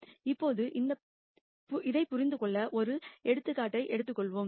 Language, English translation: Tamil, Now, let us take an example to understand this